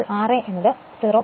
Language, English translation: Malayalam, So, r a is 0